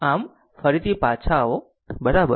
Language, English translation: Gujarati, So, come back again, right